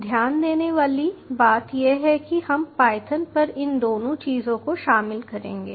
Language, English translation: Hindi, ah, point to note is we will be covering both of these things on python